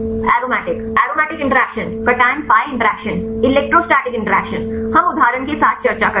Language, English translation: Hindi, Aromatic, aromatic interactions, cation pi interactions, electrostatic interactions, we discuss with the example